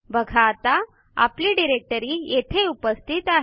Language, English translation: Marathi, See the directory is now present here